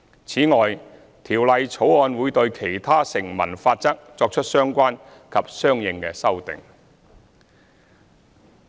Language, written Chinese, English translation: Cantonese, 此外，《條例草案》會對其他成文法則作出相關及相應修訂。, Besides the Bill will make relevant and consequential amendments to other enactments